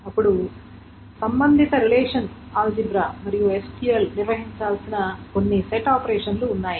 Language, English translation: Telugu, Then there are certain set operations that the relational algebra and SQL needs to handle